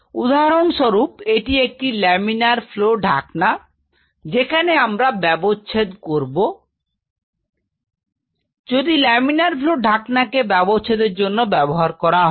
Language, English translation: Bengali, But say for example, this laminar flow hood where we started has to be kept for dissection, if this laminar flow hood for the dissection